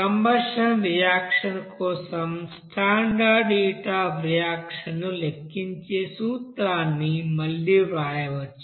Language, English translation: Telugu, So again you can then write the same principle of calculating standard heat of reaction for this combustion reaction